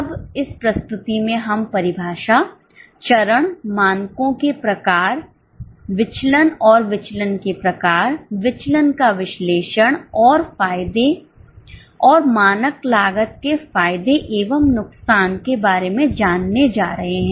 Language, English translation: Hindi, Now, in this presentation we are going to learn about the definition, the steps, the types of standards, variances and the type of variances, analysis of variances and the advantages and disadvantages of standard costing